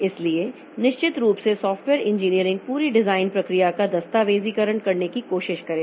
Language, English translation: Hindi, So, that definitely the software engineering it will try to document the whole design process